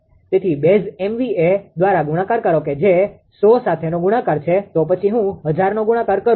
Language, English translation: Gujarati, So, multiply by base MBV 100 time multiplied; then you 1000 I am multiplied